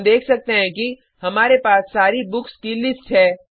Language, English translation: Hindi, Here, we can see that we have the list of all the Books